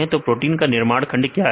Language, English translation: Hindi, So, what is the building block of proteins